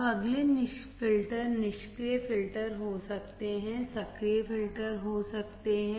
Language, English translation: Hindi, Now, next is filters can be passive filters, can be active filters